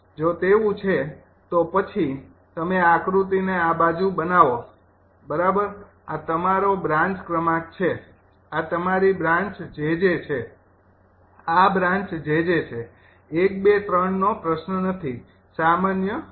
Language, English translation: Gujarati, if it is so, then you make this diagram right: this side, this is your branch number, this is your branch jj, this branch is jj